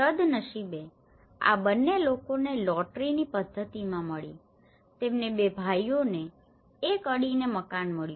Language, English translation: Gujarati, Fortunately, these two people got in a lottery method, they got two brothers got an adjacent house